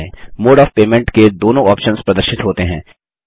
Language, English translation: Hindi, Both the options for mode of payment are displayed